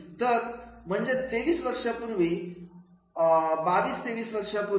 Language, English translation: Marathi, So that is about 23 years, 22, 23 years back